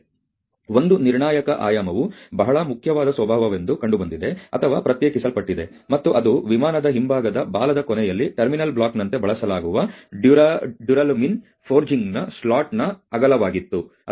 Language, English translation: Kannada, And so, one critical dimension was found or isolated to be a very important nature, and that was the width of a slot on the duralumin forging used as a terminal block at the end of the rear tail of an airplane